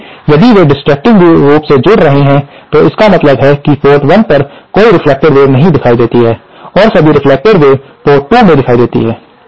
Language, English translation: Hindi, So, if they are adding destructively, it means that no reflected wave appears at port 1 and all reflected waves appear at port 2